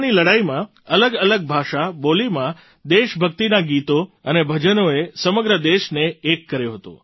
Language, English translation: Gujarati, During the freedom struggle patriotic songs and devotional songs in different languages, dialects had united the entire country